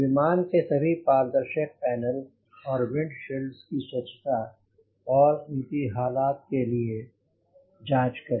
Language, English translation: Hindi, check all transparent panels and windshields for cleanliness and condition